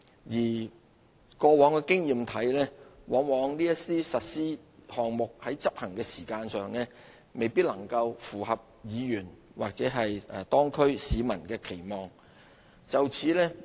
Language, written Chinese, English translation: Cantonese, 根據過往的經驗，這些項目在實施的時間上往往未能符合議員或當區市民的期望。, Based on past experience the implementation schedule of these projects often fell short of the expectation of Members and local residents